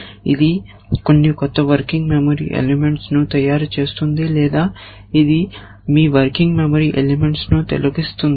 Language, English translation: Telugu, It is making some new working memory elements or it is deleting of you working memory elements